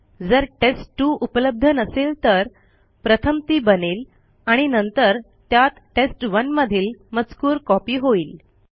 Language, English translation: Marathi, If test2 doesnt exist it would be first created and then the content of test1 will be copied to it